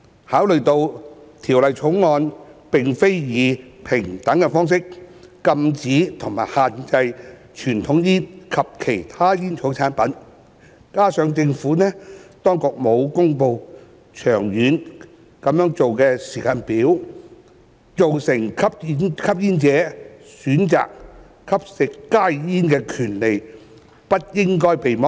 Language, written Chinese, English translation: Cantonese, 考慮到《條例草案》並非以平等方式禁止和限制傳統香煙及其他煙草產品，加上政府當局沒有公布長遠會這樣做的時間表，成年吸煙者選擇吸食加熱煙的權利不應被剝削。, Taking into consideration that conventional cigarettes and other tobacco products are not prohibited and restricted on equal footing under the Bill and that the Administration has not announced any timetable to do so in the longer term established adult smokers should not be deprived of the right to opt for HTP